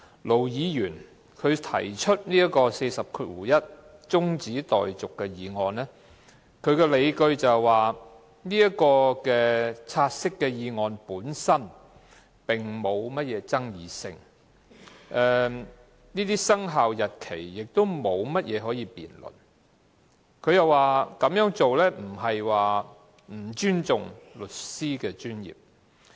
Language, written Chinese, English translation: Cantonese, 盧議員根據第401條提出中止待續議案的理據是，"察悉議案"沒有爭議性，生效日期也沒有可辯論的地方，他更說這樣做並非不尊重律師專業。, Ir Dr LOs justifications for moving the adjournment motion under RoP 401 are that the take - note motion is uncontroversial and that the date of commencement has no points for debate . He even said that his moving of an adjournment motion is not disrespectful for the legal profession